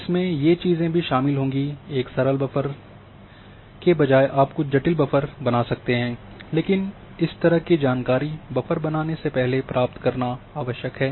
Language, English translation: Hindi, Those things also are involved instead of having a simple buffer you can create some complicated buffer, that but that kind of information is required before you do the buffer